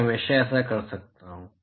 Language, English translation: Hindi, I can always do that